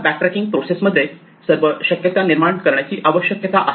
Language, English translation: Marathi, Now, in the process of doing the backtracking we need to generate all the possibilities